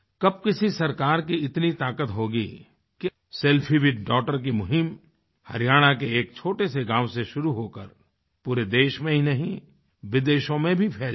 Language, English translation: Hindi, Who would have imagined that a small campaign "selfie with daughter"starting from a small village in Haryana would spread not only throughout the country but also across other countries as well